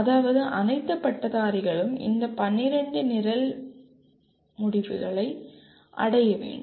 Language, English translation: Tamil, That means all graduates will have to attain these 12 Program Outcomes